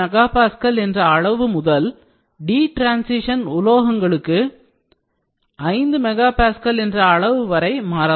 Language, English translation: Tamil, 2 mega Pascal, for alkali metals to 5 mega Pascal for d transition metals